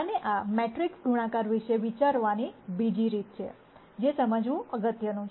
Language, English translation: Gujarati, And this is another way of thinking about matrix multiplications, which is important to understand